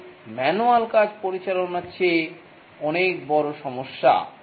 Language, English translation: Bengali, This is a much bigger problem than managing manual work